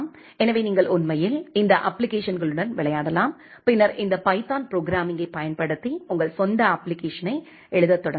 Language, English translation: Tamil, So, you can actually play with these applications which are there and then will start writing your own application using this python programming